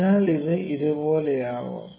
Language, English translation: Malayalam, So, it can be something like this